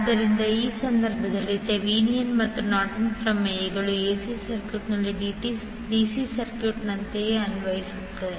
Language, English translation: Kannada, So, in this case also the Thevenin’s and Norton’s theorems are applied in AC circuit in the same way as did in case of DC circuit